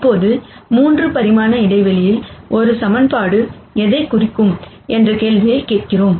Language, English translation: Tamil, Now, we ask the question as to what a single equation would represent in a 3 dimensional space